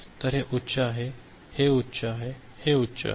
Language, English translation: Marathi, So, this is high, this is high, this is high